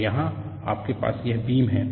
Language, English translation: Hindi, So, here, you have here, this is the beam